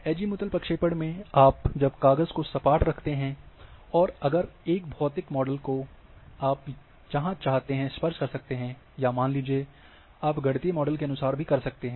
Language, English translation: Hindi, In Azimuth Azimuthal projections, when you keep the sheet as flat, and wherever you want you can touch, if it is physical model, or in mathaematic mathematical models accordingly you can assume